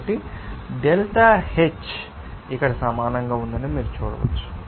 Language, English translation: Telugu, So, according you can see that delta H is equal to here